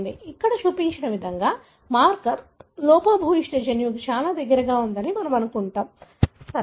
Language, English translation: Telugu, We would assume that marker is present very close to a defective gene, as shown here, right